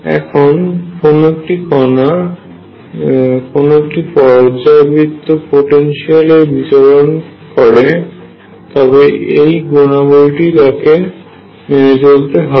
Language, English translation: Bengali, So, if a particle is moving in a periodic potential this is the property that it is going to satisfy